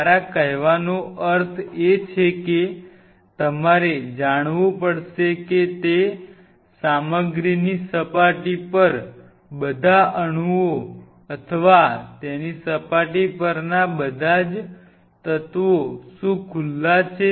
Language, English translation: Gujarati, What I meant by that is you have to know that what all atoms are exposed on the surface of that material or what all elements are on the surface of it